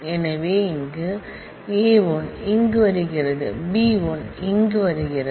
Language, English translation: Tamil, So, here alpha 1 is coming here beta 1 is coming here